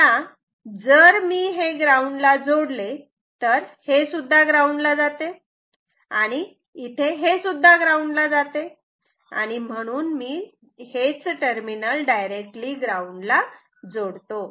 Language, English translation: Marathi, Now if I ground this, it is this is also grounded, this is also grounded, so I can ground this terminal directly, ok